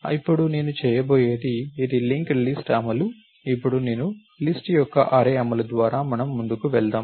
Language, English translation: Telugu, Now, what I am going to do is this is the linked list implementation, now I am going to walk you through the array implementation of list